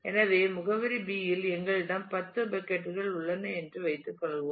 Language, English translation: Tamil, So, let us assume that on the address space B we have 10 buckets